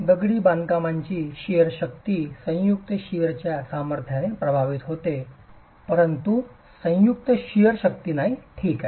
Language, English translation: Marathi, The shear strength of masonry is affected by the joint shear strength but is not the joint shear strength